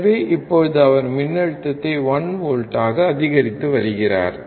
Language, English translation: Tamil, So now, he is increasing the voltage to 1 volt